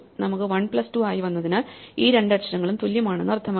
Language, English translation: Malayalam, Since we came as 1 plus 2 it must mean that these two letters are the same